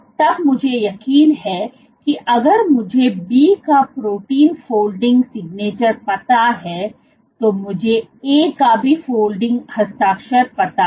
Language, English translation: Hindi, Then I know for sure if I know the protein folding signature of B I know; what is the folding signature of A